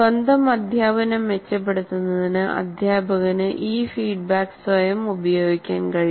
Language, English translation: Malayalam, And also what happens, the teacher can use this feedback himself or herself to improve their own teaching